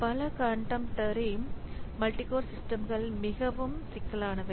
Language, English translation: Tamil, So, contemporary multi core systems are much more complex